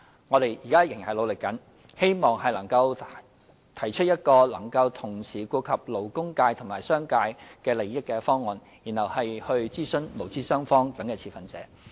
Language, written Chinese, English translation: Cantonese, 我們現在仍在努力，希望能夠提出一個能同時顧及勞工界及商界利益的方案，然後會諮詢勞資雙方等持份者。, We are still making efforts in the hope of putting forward a proposal that can give due regard to the interests of the labour and business sectors before consulting the stakeholders including employees and employers